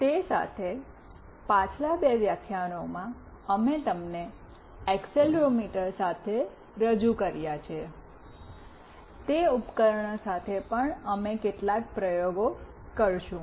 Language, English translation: Gujarati, Along with that in previous two lectures, we have introduced you to accelerometer; with that device also we will be doing a couple of experiment